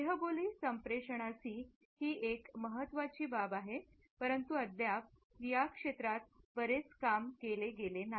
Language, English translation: Marathi, It is a vital aspect of non verbal communication though still not much work has been done in this area